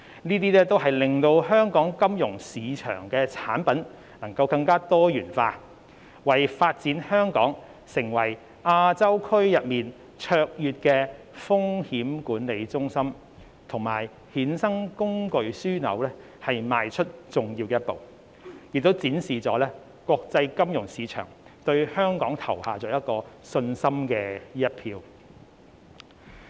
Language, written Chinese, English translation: Cantonese, 這些都會令香港金融市場的產品更多元化，為發展香港成為亞洲區內卓越的風險管理中心及衍生工具樞紐邁出重要的一步，並展示國際金融市場對香港投下信心的一票。, It also marks a big step forward in developing Hong Kong into a pre - eminent risk management centre and derivative hub in the Asia time zone and represents a notable vote of confidence of the international financial markets in Hong Kong